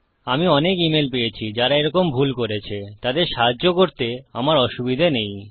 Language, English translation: Bengali, I get a lot of emails from people who have made mistakes like that and I dont mind helping people